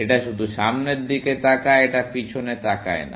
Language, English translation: Bengali, It only looks forward; it does not look behind